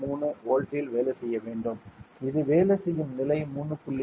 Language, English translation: Tamil, 3 volts it is the working level is 3